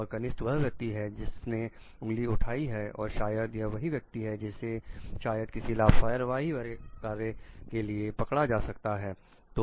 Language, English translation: Hindi, The junior is the one who has pointed fingers at and maybe that is the person who is getting caught under certain for maybe like neglectful acts